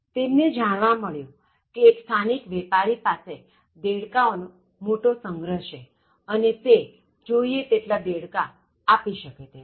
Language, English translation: Gujarati, So, he came to know that, there is a local vendor who has a huge storage and where he can give any number of frogs